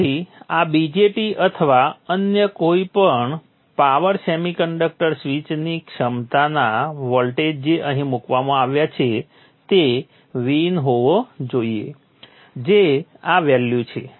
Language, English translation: Gujarati, So the voltage withstanding capability of this VJT or any other power semiconductor switch which is placed here should be VIN which is this way